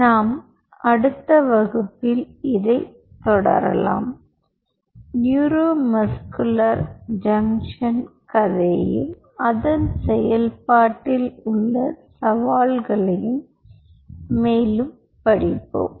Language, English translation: Tamil, in the next class we will further this a story of neuromuscular junction and its challenges in the process